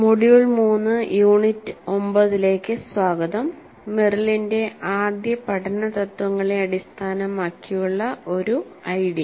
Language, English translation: Malayalam, Greetings, welcome to module 3 unit 9, an ID based on Merrill's principles, first principles of learning